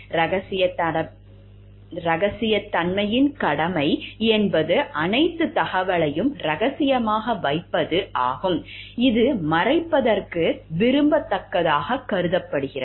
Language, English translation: Tamil, The duty of confidentiality is the duty to keep all information secret, which is deemed desirable to kept under covers